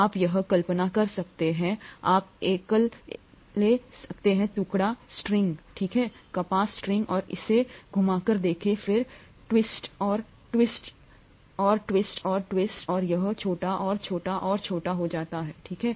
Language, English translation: Hindi, You can imagine this, you can take a piece string, okay, cotton string and try twisting it, then twists and twists and twists and twists and it becomes smaller and smaller and smaller, okay